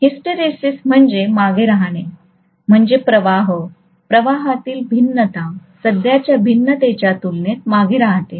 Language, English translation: Marathi, Hysteresis means lagging behind, so the flux actually, the variation in the flux actually lags behind compared to the variation in the current